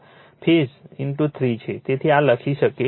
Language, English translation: Gujarati, So, this we can write